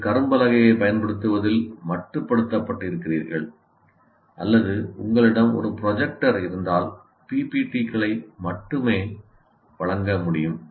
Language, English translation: Tamil, Then you are confined to using only the blackboard or if you have a projector only to present the PPPTs